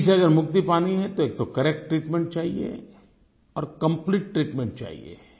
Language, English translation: Hindi, If we want to free ourselves and our country from TB, then we need correct treatment, we need complete treatment